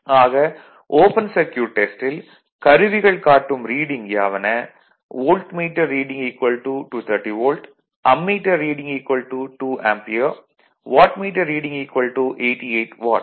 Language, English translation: Tamil, Now, hence the readings of the instrument are volt meter reading 230 volt, ammeter reading 2 ampere and wattmeter meter reading will be 88 watt right